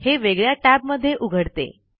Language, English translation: Marathi, It opens in a separate tab